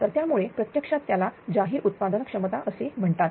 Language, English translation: Marathi, So, that is why actually it is called released generation capacity